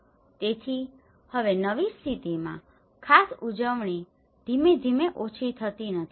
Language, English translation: Gujarati, So, now in the new situation, not particular celebrations have gradually diminished